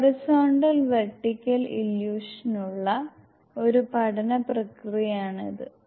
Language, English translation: Malayalam, This is an apprentice for horizontal vertical illusion